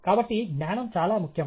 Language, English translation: Telugu, So, knowledge is very important